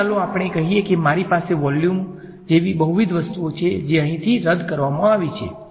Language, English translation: Gujarati, So, let us say I have a volume like this multiple things that have been canceled off over here